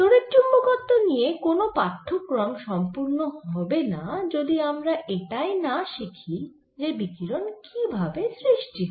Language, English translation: Bengali, no course on e m theory is going to complete until we see how this radiation arise this